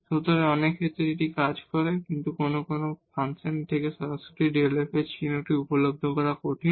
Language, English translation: Bengali, So, in many cases this works, but sometimes this is difficult to realize the sign of delta f directly from the function